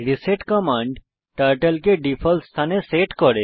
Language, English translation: Bengali, reset command sets Turtle to default position